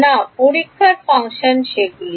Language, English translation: Bengali, No, testing functions are what they are